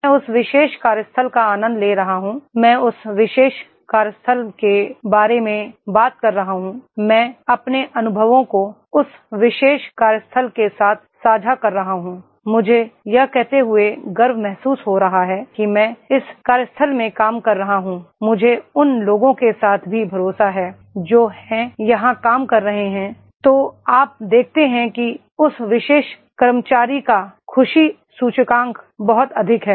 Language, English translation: Hindi, I am enjoying that particular workplace, I am talking about that particular workplace, I am sharing my experiences with that particular workplace, I feel pride in saying that I am working in this workplace, I am also having the trust with the people those who are working there, so you see that is the happiness index of that particular employee is very high